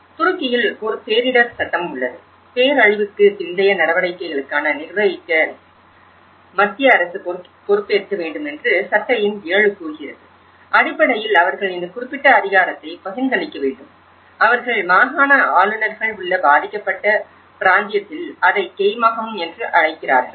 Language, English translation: Tamil, In Turkey, we have; they also have a disaster law; law number 7 states that the central government, it should be responsible for the management of post disaster activities and basically, they have to delegates this particular authority with, they call it as kaymakam in the provincial governors in the affected region